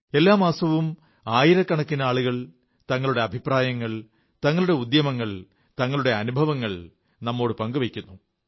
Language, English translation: Malayalam, Every month, thousands of people share their suggestions, their efforts, and their experiences thereby